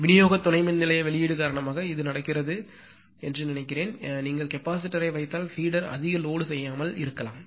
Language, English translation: Tamil, I think this is happening because of the distribution substation capacity release right and if you put capacitor then feeder may not be overloaded